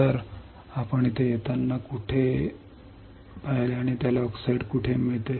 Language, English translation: Marathi, So, where were we see come here and where it gets oxide